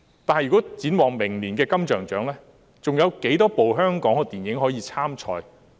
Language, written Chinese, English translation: Cantonese, 但展望明年的金像獎，還有多少齣香港電影可以參賽？, However looking ahead we wonder how many Hong Kong films can contest for the film awards next year